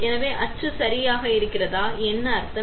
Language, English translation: Tamil, So, what exactly mould means, right